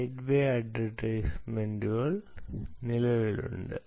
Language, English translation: Malayalam, gateway advertisement exists